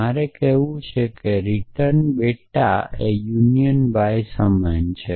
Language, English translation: Gujarati, I want say return bete union var equal to y